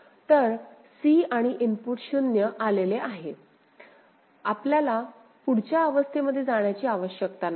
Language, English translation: Marathi, So, c and input has come, 0, you need not go to the next state